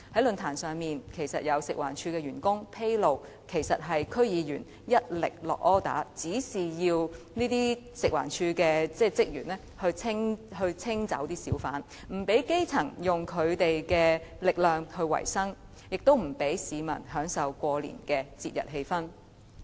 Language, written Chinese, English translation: Cantonese, 論壇上，有食環署員工披露，是有區議員一力指示要求職員清走小販，不讓基層以自己的力量維生，亦不讓市民享受過年的節日氣氛。, At the forum staff members from FEHD disclosed that certain DC members had given strong instructions and requests for the removal of hawkers preventing grass - roots from earning their own living and the public from enjoying the festive atmosphere during the Chinese New Year